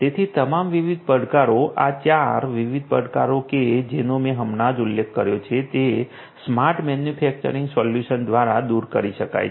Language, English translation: Gujarati, So, all of these different challenges the 5 different, the 4 different challenges that I have just mentioned could be overcome with smart manufacturing solutions